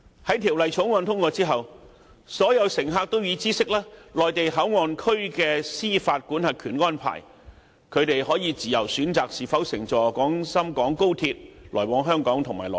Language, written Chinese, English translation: Cantonese, 在《條例草案》通過後，所有乘客都會知悉內地口岸區的司法管轄權安排，可以自由選擇是否乘坐廣深港高鐵來往香港和內地。, After the Bills passage all passengers will be aware of the arrangement of jurisdiction in MPA and can freely choose whether or not to travel between Hong Kong and the Mainland by the Guangzhou - Shenzhen - Hong Kong Express Rail Link XRL